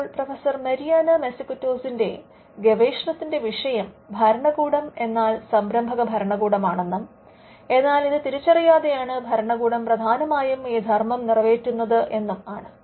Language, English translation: Malayalam, Now, the theme of professor Mariana Mazzucatos research is that the state itself is an entrepreneurial state and the state predominantly does this function without many offices realizing it